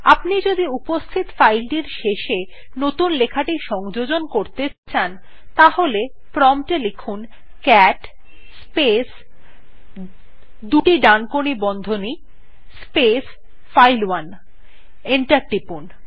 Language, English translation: Bengali, Now if you wish to append to the end of an existing file file1 type at the prompt cat space double right angle bracket space file1 and press enter